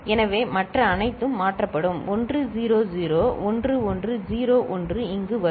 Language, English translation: Tamil, So, everything else will get shifted 1 0 0 1 1 0 1 will come over here